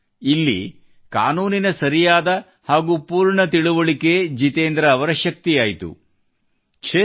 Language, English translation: Kannada, This correct and complete knowledge of the law became the strength of Jitendra ji